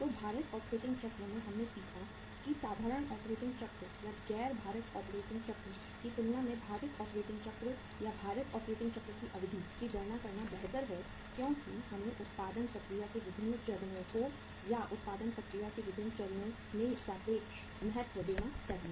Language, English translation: Hindi, So uh weighted operating cycle we we learnt about that as compared to the simple operating cycle or the non weighted operating cycle uh it is better to calculate or to work out the weighted operating cycle or the duration of the weighted operating cycle because we should give the relative importance to the say different stages of the production process or at the different stages of the production process